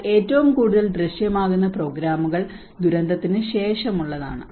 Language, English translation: Malayalam, But the most visible programs are mostly focused on after the disaster